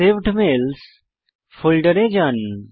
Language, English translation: Bengali, Lets go to the Saved Mails folder